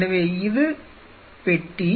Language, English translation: Tamil, So, this is the box and this is the